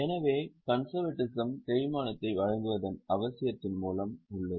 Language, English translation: Tamil, So, the concept of conservatism is at a root of the need to provide depreciation